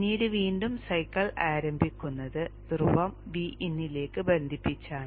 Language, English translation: Malayalam, And then again the cycle begins by the pole getting connected to V In